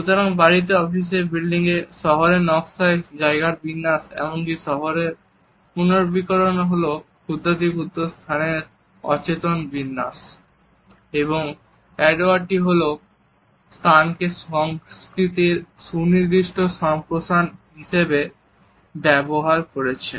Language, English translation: Bengali, So, organization of a spaces, in houses, offices, building, city planning, as well as urban renewal is an unconscious structuring of micro space and a space has been treated by Edward T Hall as a specialized elaboration of culture